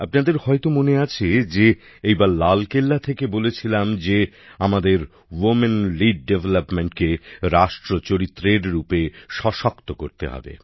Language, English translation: Bengali, You might remember this time I have expressed from Red Fort that we have to strengthen Women Led Development as a national character